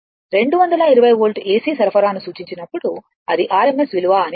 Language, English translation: Telugu, When an AC supply of 220 volt is referred, it is meant the rms value right